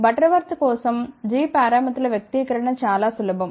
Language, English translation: Telugu, For Butterworth the expression for g parameters was very very simple